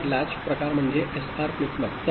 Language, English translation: Marathi, So, basically latch type is SR flip flop